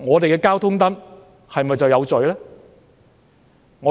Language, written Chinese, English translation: Cantonese, 交通燈是否就有罪呢？, Are the traffic lights guilty?